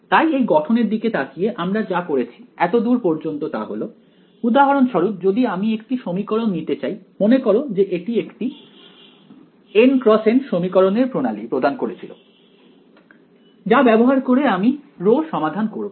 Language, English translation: Bengali, So, looking at this formulation that we did so far right; so for example, if I wanted to take one equation so, remember this gave us a N cross N system of equations, which we use to solve for rho